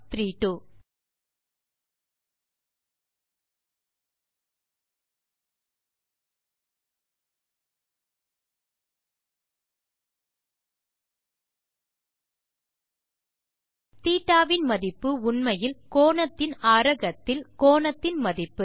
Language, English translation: Tamil, Notice that the value of θ is actually the value of the angle in radian